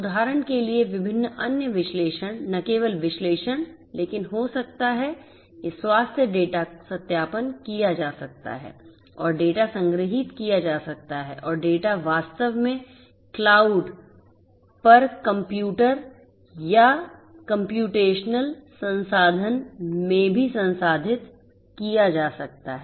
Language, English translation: Hindi, Different other analysis for example not just analysis, but may be health data; health data verification can be performed and the data can be stored and the data can in fact, be also processed in a computer or a computational resource in the cloud and so on